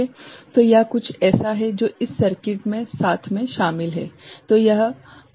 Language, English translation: Hindi, So, this is something that is included in the circuit in addition, right